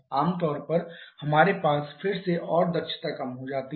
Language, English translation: Hindi, Generally we have again and decreasing the efficiency